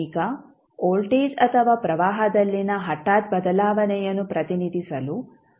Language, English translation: Kannada, Now, step function is used to represent an abrupt change in voltage or current